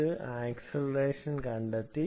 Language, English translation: Malayalam, it has found out the acceleration